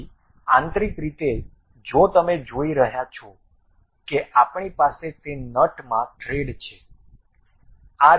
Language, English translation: Gujarati, So, internally if you are seeing we have those threads in that nut